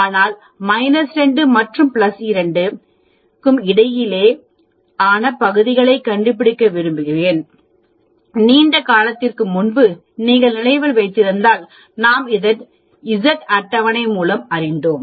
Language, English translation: Tamil, So, I want to find out the area between minus 2 and plus 2, if you remember long time back we did that from the Z table